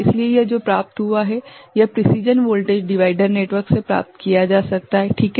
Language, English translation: Hindi, So, this is obtained, can be obtained from precision voltage divider network, ok